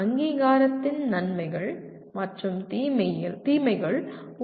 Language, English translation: Tamil, What in your view are the advantages and disadvantages of accreditation